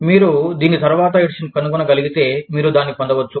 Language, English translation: Telugu, If you can find, a later edition, you can get it